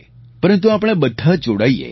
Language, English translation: Gujarati, But we must all come together